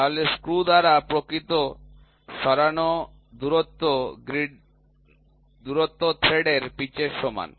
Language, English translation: Bengali, Therefore, the actual distance moved by the screw is equal to the pitch of the thread